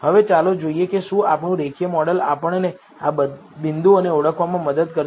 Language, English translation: Gujarati, Now let us see if our linear model will help us to identify these points